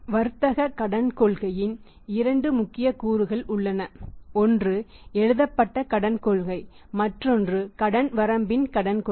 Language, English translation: Tamil, There are the two important elements of the trade Credit Policy one is the written credit policy and other is the say a credit policy of the credit limit